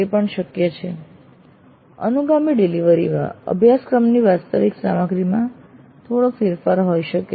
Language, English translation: Gujarati, And it is also possible that in a subsequent delivery there could be minor variations in the actual content of the course